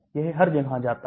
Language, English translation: Hindi, It goes everywhere